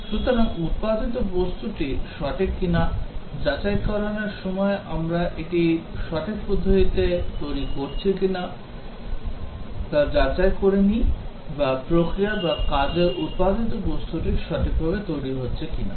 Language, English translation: Bengali, So, whether the product is right, whereas in verification we check whether we are developing it in a right way whether or the process or the work product is being developed correctly